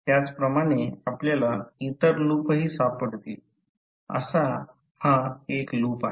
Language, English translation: Marathi, Similarly, we can find other loops also, one such loop is this one